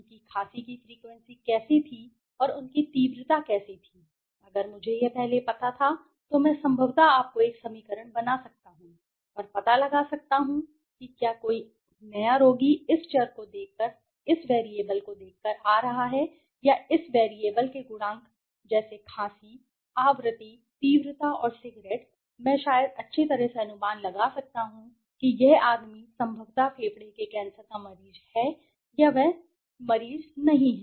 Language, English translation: Hindi, How was their coughing frequency and how was their intensity if I knew this earlier then I could possibly create you know an equation and find out, whether if a new patient is coming by looking at this variables the scores or the coefficient of this variables like coughing frequency, intensity and cigarettes, I can maybe predict okay well this man is maybe possibly a patient of lung cancer or he is not, right, okay